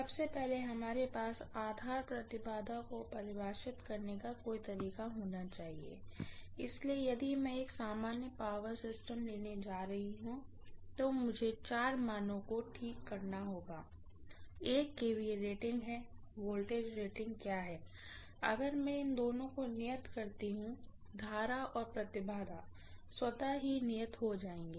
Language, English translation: Hindi, First of all we should have some way of defining base impedance, so if I am going to take a general power system, I am going to look at first of all, I have to fix four values, one is what is the kVA rating, what is the voltage rating, if I fix these two, automatically current is fixed and impedance will also be fixed